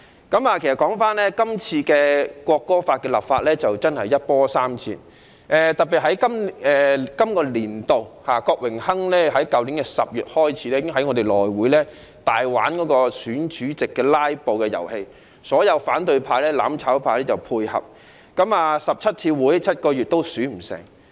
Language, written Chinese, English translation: Cantonese, 《國歌條例草案》的立法一波三折，特別是在本立法年度，郭榮鏗議員由去年10月起，已經在內務委員會上大玩選主席的"拉布"遊戲，所有反對派或"攬炒派"配合，共開了17次會議，花了7個月也未能選出內會主席。, The road to the enactment of the National Anthem Bill the Bill has been full of twists and turns . In the current legislative session in particular Mr Dennis KWOK had since last October blatantly played the filibuster game in the election of the Chairman of the House Committee . With the support of all Members of the opposition or the mutual destruction camp 17 meetings in total had been held over some seven months and the Chairman of the House Committee had yet to be elected